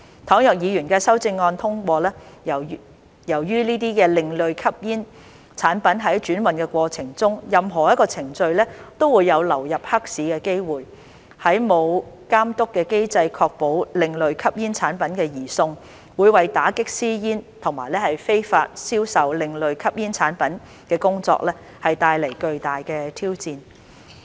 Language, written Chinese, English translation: Cantonese, 倘若議員的修正案獲通過，由於這些另類吸煙產品在轉運過程中的任何一個程序都有流入黑市的機會，沒有監督機制確保另類吸煙產品的移送，會為打擊私煙及非法銷售另類吸煙產品的工作帶來巨大的挑戰。, If the Members amendments are passed as there is a chance that these ASPs may flow into the black market at any point of the transhipment process the absence of a control system to ensure the transfer of ASPs will pose great challenges to the efforts made to curb illicit cigarettes and illegal sales of ASPs